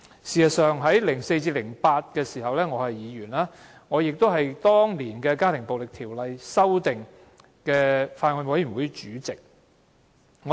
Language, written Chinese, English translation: Cantonese, 事實上 ，2004 年至2008年我擔任議員期間，是《家庭暴力條例草案》法案委員會主席。, In fact I chaired the Bills Committee on Domestic Violence Amendment Bill when I was a Member in 2004 to 2008